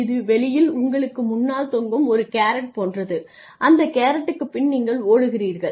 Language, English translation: Tamil, Something outside you know this is a carrot hanging in front of you and you are running after that carrot